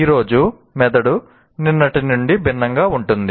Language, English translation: Telugu, So the brain is today is different from what it was yesterday